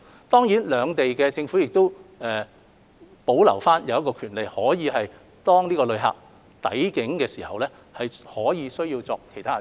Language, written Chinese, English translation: Cantonese, 當然，兩地政府亦可以保留權力，要求在旅客抵境時作出其他檢測。, Certainly the governments of the two places may reserve their powers to require visitors to go through other forms of testing upon arrival